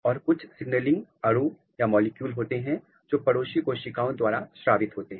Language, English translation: Hindi, And, there are some signaling molecules which is secreted by the neighboring cells